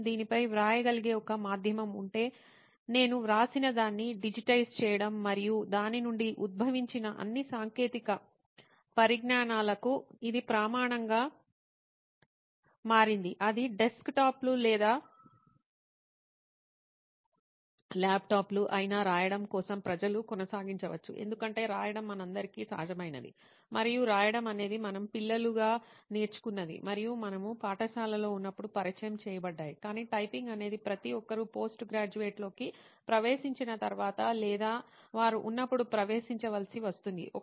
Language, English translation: Telugu, If there was a medium where I could write it on it digitize what I wrote and that became the standard for all the technology that has evolved out of it, be it desktops or laptops the people would probably still have kept on writing because writing is very natural to all of us and writing is something that we have learnt as kids and we have been introduced to when we were in school, but typing is something that everyone is forced to get into once they get into a post graduation or when they are getting into a cooperate situation